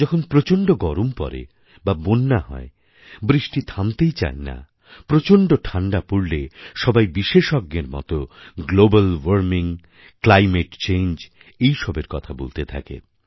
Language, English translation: Bengali, Whenever we face a torrid summer, or floods, incessant rains or unbearable cold, everybody becomes an expert, analyzing global warming and climate change